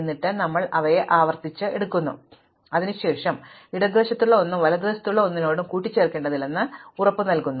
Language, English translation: Malayalam, And then, we sort them recursively and then we are guaranteed that nothing on the left needs to be combined with anything on the right after this